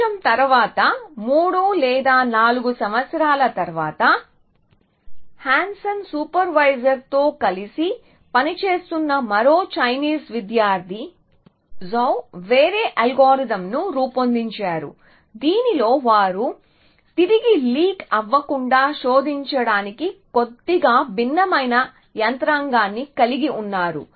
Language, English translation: Telugu, A little bit later 3 or 4 years later, another Chinese student Zhou working with Hansen supervisor produced a different algorithm in which they had a slightly different mechanism for search from leaking back